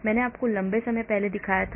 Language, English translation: Hindi, I showed you long time back